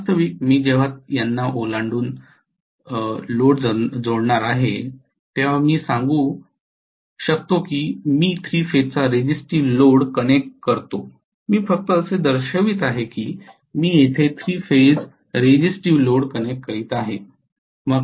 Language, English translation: Marathi, Actually when I am going to connect the load across these, so I let us say I connect the 3 phase resistive load I am just showing as though I am connecting 3 phase resistive load here